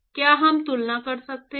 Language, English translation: Hindi, Can we make a comparison